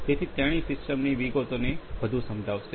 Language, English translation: Gujarati, So, see will further explain the details of the system